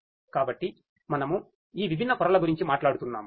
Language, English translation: Telugu, So, you know we were talking about all these different layers